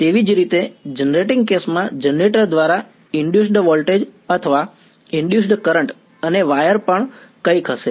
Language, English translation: Gujarati, Similarly, in the generating case there is going to be an induced voltage or induced current by the generator and something on the wire